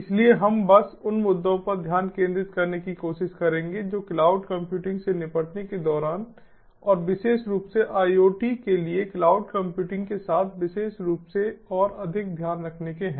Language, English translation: Hindi, so we will simply try to focus on the issues that are there and which have to be taken care of while dealing with cloud computing and particularly, more specifically, of cloud computing for iot